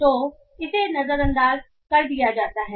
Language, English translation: Hindi, So it is ignored